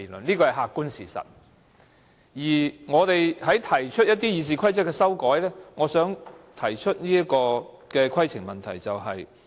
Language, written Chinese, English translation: Cantonese, 有關我們就《議事規則》提出的修訂議案，我想提出規程問題。, Regarding our amending motions on RoP I would like to raise a point of order